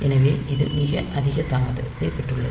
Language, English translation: Tamil, So, this one has got much higher delay